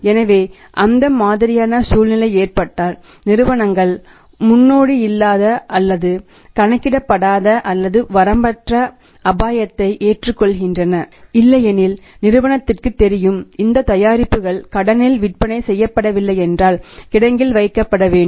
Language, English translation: Tamil, So, in that case if that kind of situation happens companies taking a unprecedented or uncalculated or the unlimited risk because otherwise also company knows that this product if it is not passed on to the mark on credit this has to be kept in to the warehouse